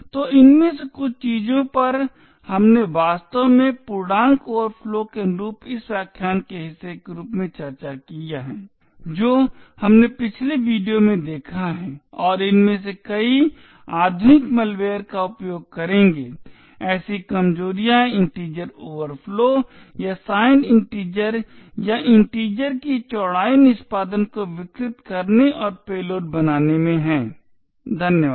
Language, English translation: Hindi, So some of these things we have actually discussed as part of this lecture corresponding to integer overflow which we have seen in the previous videos and many of these modern malware would use such vulnerabilities in integer overflow or signedness of integer or the width of integer to subvert execution and create payloads, thank you